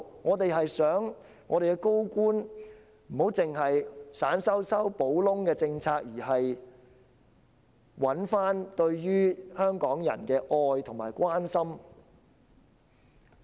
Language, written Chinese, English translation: Cantonese, 我們只是希望高官不要只是推出小修小補的政策，並找回對香港人的愛和關心。, We only hope that senior officials will not merely introduce patch - up policies but regain their love and care for Hong Kong people